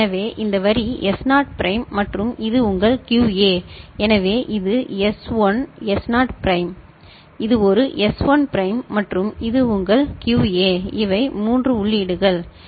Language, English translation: Tamil, So, this line is S naught prime and this is your QA, so this is S1 S naught prime, this is a S1 prime and this is your QA these are the 3 inputs ok